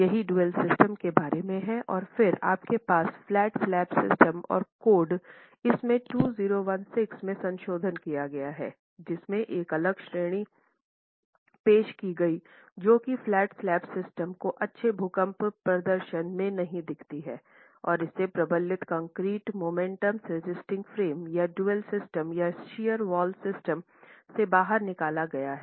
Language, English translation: Hindi, That's what a dual system is all about and then you have flat slab systems and the code has in its recent revision in 2016 introduced a separate category which does not show good earthquake performance as flat slab systems and pulled it out of reinforced concrete moment resisting frames or dual systems or shear wall systems